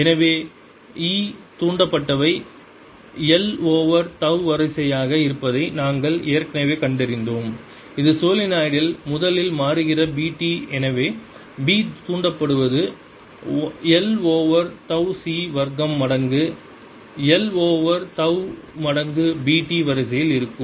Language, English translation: Tamil, so we had all ready found that e induced is of the order of l over tau times, is b t that is changing originally in the solenoid and therefore b induced is going to be of the order of l over tau c square times, l over tau times b t, which is l over tau c square b t